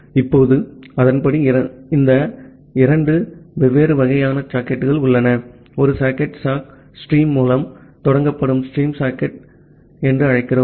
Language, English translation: Tamil, Now, accordingly we have these two different types of sockets; one socket we call as the stream socket which is initiated by sock stream